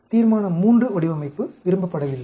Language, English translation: Tamil, Resolution III design is not liked